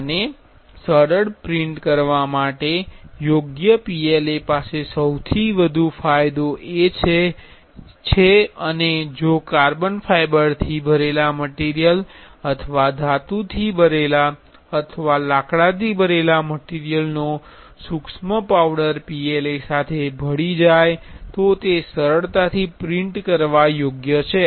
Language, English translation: Gujarati, And for ease easy printable PLA has the most advantage and if the carbon fiber filled material or metal filled would filled material is the fine powder is mixed with PLA that is also easily printable